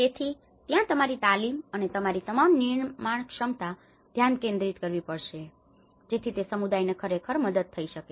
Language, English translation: Gujarati, So, that is where your training, all the capacity building will focus so that it can actually help the communities further